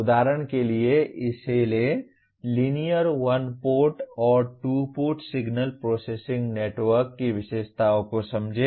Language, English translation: Hindi, For example take this, understand the characteristics of linear one port and two port signal processing network